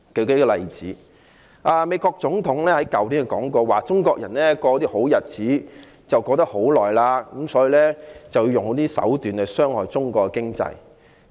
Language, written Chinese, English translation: Cantonese, 舉例而言，美國總統去年提到中國人過好日子過了很長時間，所以要用一些手段來傷害中國的經濟。, For example the United States President mentioned last year that Chinese have been having a good time for long and so it was necessary to employ some means to harm the Chinese economy